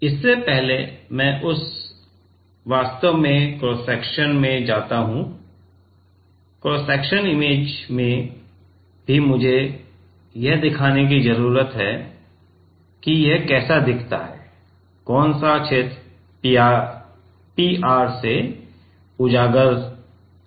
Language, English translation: Hindi, Before, I go to that actually in the cross section, in the cross sectional image also I need to show, then how it looks like which region of the PR is exposed